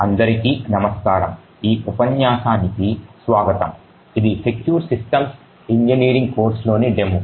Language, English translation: Telugu, and welcome to this lecture so this is the demo in the course for in secure systems engineering